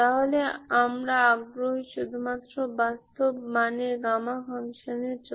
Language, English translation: Bengali, So this is your property of gamma function